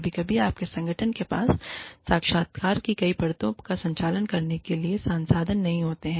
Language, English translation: Hindi, Sometimes, your organization may not have the resources, to conduct several layers of interviews